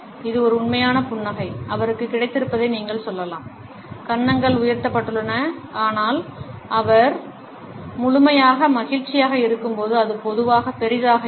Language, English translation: Tamil, This is a genuine smile, you could tell he has got the (Refer Time: 36:41), the cheeks are raised, but it is not as big as it typically is when he is thoroughly happy